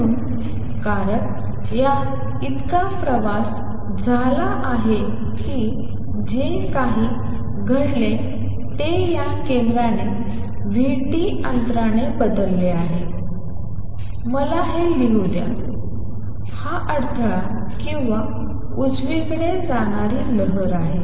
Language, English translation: Marathi, So, because it has travel that much all that happened is a center of this has shifted by this much distance v t, let me write this; this is the disturbance or the wave travelling to the right